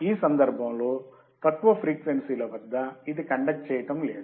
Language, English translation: Telugu, In this case, at low frequency, it was not conducting